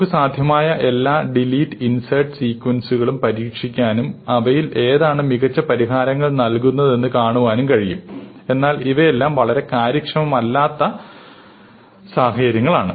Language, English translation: Malayalam, So, you can also try out all possible delete and insert sequences and see which among them gives you the best solution, but all of these are very inefficient kind of solutions